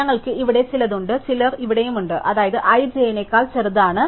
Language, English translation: Malayalam, So, we have some i here and some j here, such that i is smaller than j